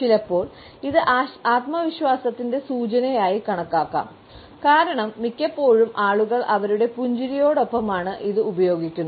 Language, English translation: Malayalam, Sometimes it can be treated as an indication of confidence, because most often we find that people use it along with their smile